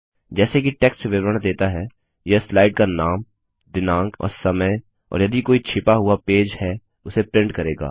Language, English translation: Hindi, As the text describes, these will print the name of the slide, the date and time and hidden pages, if any